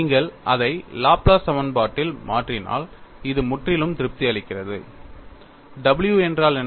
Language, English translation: Tamil, And if you substitute it in the Laplace equation, this completely satisfies, if you substitute the what is w